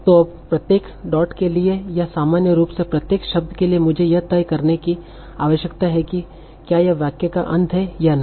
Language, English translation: Hindi, So now, for each dot or in general for every word, I need to decide whether this is the end of the sentence or not the end of the sentence